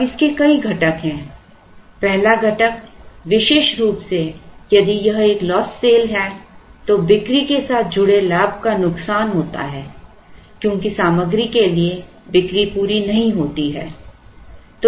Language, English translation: Hindi, Now, this also has several components the first component particularly if it is a lost sale is the loss of profit associated with the sale because the sale is not complete because for want of material